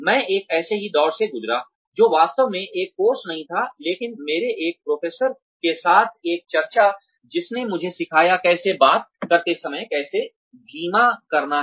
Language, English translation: Hindi, I went through a similar, very short not really a course, but, a discussion with one of my professors, who taught me, how to slow down, while talking